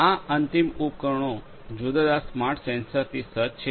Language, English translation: Gujarati, These end devices are fitted with different smart sensors